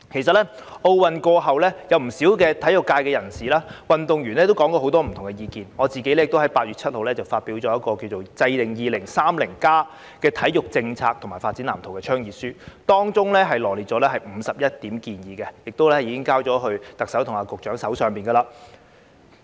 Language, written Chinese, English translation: Cantonese, 在奧運過後，不少體育界人士及運動員提出了很多不同意見，而我亦在8月7日發表一份題為"制定 2030+ 體育政策及發展藍圖"的倡議書，當中羅列51項建議，並已交到特首和局長手上。, Quite a number of members of the sports community and athletes have put forward various views after the Olympic Games . On 7 August I published an advocacy statement entitled Proposal for Sport HK 2030 Policy and Development Blueprint setting out 51 suggestions . I have already sent it to the Chief Executive and the Secretary